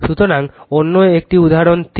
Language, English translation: Bengali, So, another one is example 3